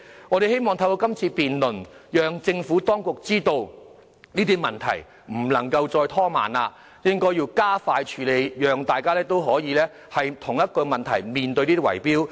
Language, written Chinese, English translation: Cantonese, 我們希望透過這項議案辯論，讓政府當局知道這些問題不能再拖延，必須加快處理，讓大家可以避免面對圍標的問題。, We hope that through this motion debate the Administration will realize that it can brook no delay in handling these issues and it must address the problems expeditiously so that the public may be spared problems arising from bid - rigging